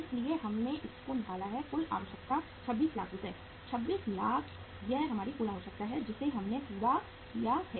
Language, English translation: Hindi, So uh we have worked out the total requirement is that is 26 lakhs rupees, 26 lakhs this is our total requirement which we have worked out